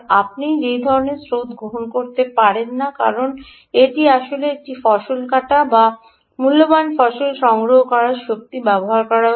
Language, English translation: Bengali, you can't afford that kind of currents because this is actually a harvesting and precious harvesting energy is being used